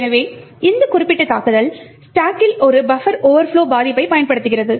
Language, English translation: Tamil, So, this particular attack also exploits a buffer overflow vulnerability in the stack